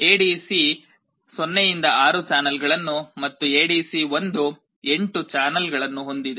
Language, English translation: Kannada, ADC0 has 6 channels and ADC1 had 8 channels